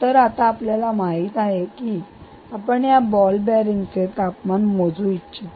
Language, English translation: Marathi, good, so now you know that you want to measure the temperature of this ball bearing